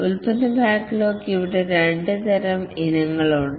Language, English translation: Malayalam, The product backlog, there are two types of items here